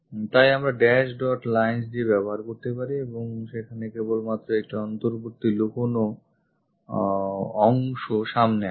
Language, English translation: Bengali, So, we can use by dash dot lines and only internal hidden portion comes out there